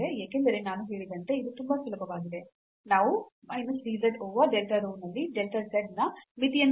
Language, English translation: Kannada, Because as I said this is much easier so, we will find out that what is limit here delta z at minus dz at over delta rho